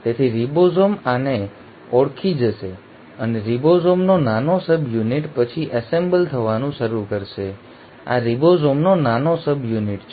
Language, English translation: Gujarati, So the ribosome will recognise this and the small subunit of ribosome will then start assembling, this is the small subunit of ribosome